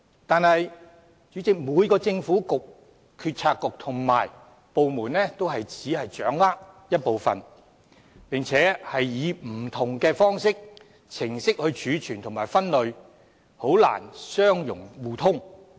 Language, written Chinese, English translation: Cantonese, 然而，主席，每個政策局和部門均只掌握一部分數據，並且以不同的方式或程序來儲存和分類，難以相容互通。, However President each Policy Bureau and department only holds a fraction of such data and stores and categorizes them in different ways or following different procedures rendering their compatibility and sharing difficult